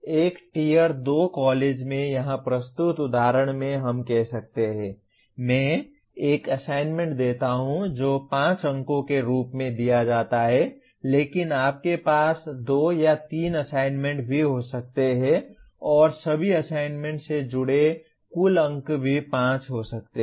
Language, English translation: Hindi, Let us say in the example presented here in a Tier 2 college, I give one assignment which is given as 5 marks but you can also have 2 or 3 assignments and the total marks associated with all the assignments could also be 5